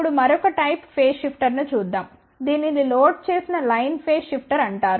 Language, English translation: Telugu, Now, let's look at another type of a phase shifter this is known as loaded line phase shifter